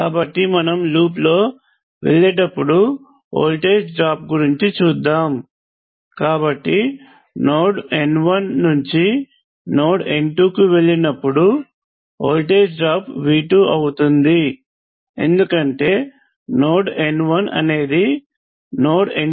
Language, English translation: Telugu, So let us say you look at the voltage fall as you go down this path, so when you go from let me call this node n 1 to node n 2 the voltage falls by V 2, because n 1 is higher than n 2 by V 2 so that means, that when you go from n 1 to n 2 the voltage falls by V 2